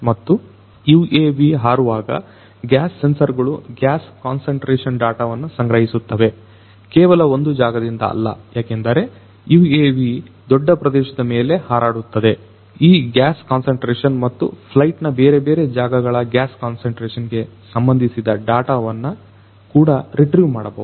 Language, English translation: Kannada, And these gas sensors when this UAV flies these gas sensors will be collecting the gas concentration data not just in one place, but because it is flying over a you know over a large area over which this UAV is going to fly, this gas concentration and the data about the gas concentration in these different locations of flight could also be retrieved